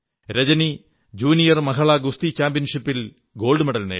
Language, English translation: Malayalam, Rajani has won a gold medal at the Junior Women's Boxing Championship